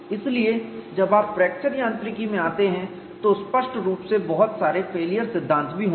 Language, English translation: Hindi, So, when you come to fracture mechanics; obviously, the failure theory is will be meaning you have to anticipate that